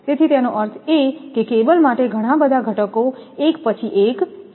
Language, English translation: Gujarati, So, I mean for cable several components are there one after another